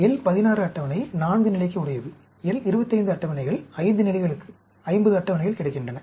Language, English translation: Tamil, L 16 table meant for 4 level, L 25 tables, 50 tables available for 5 levels